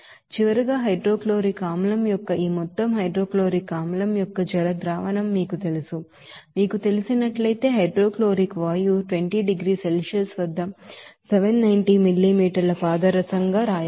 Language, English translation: Telugu, So finally, you will see that you know this amount of hydrochloric acid aqueous solution of hydrochloric acid to be made if you absorb this you know, hydrochloric gas at 20 degree Celsius of 790 millimeter mercury there